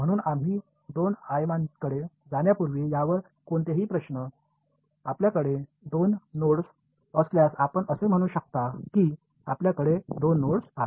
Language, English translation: Marathi, So, any questions on this before we go to two dimensions, if you have two nodes can you say that again if you have 2 nodes